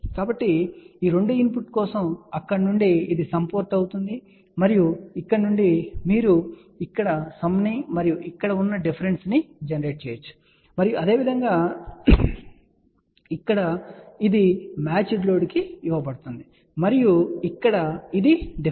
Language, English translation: Telugu, So, from here for these 2 input this will be the sum port and then from here you can generate the sum over here and the difference over here and similarly this one here is put in to match load and this one here is the difference